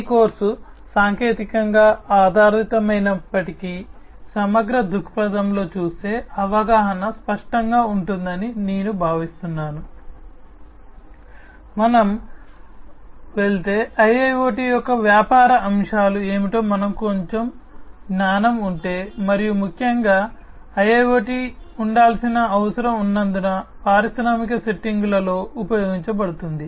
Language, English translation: Telugu, Although this course is technically oriented, but from a holistic perspective, I think the understanding will be clearer, if we go through, if we have little bit of knowledge about what are the business aspects of IIoT, and particularly because IIoT is supposed to be used in the industrial settings